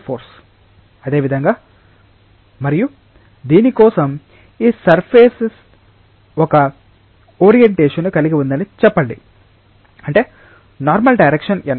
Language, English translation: Telugu, Similarly, and for this let us say that this surface has an orientation such that the direction normal is n